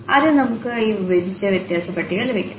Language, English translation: Malayalam, So, first we will get this divided difference table